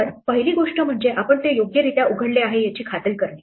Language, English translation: Marathi, So, the first thing we need to do is to make sure that we open it correctly